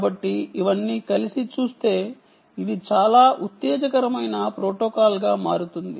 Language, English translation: Telugu, so all of this put together makes it a very exciting protocol